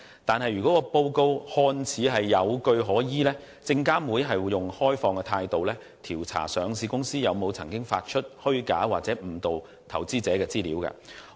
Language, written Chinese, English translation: Cantonese, 不過，如果報告看似有據可依，證監會便會以開放的態度調查上市公司是否曾經發出虛假或誤導投資者的資料。, However if the short seller report seems plausible SFC would adopt an open - minded attitude in investigating whether the listed company concerned has issued false or misleading information